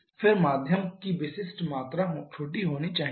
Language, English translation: Hindi, Then the specific column or volume of the medium should be smaller